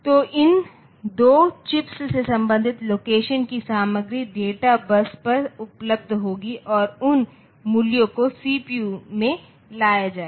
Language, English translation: Hindi, So, the content of the corresponding locations from these two chips so they will be available on the on the data bus and those values will be coming to the CPU